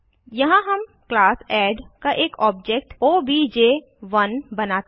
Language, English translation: Hindi, Here we create an object of class add as obj1